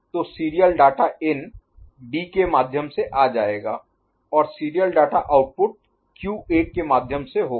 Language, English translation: Hindi, So, serial data in will be coming through D and serial data output will be through QA ok